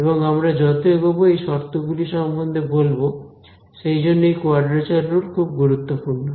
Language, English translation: Bengali, And, we will talk about those conditions as we go along ok, that is why this quadrature rule is very important useful rather ok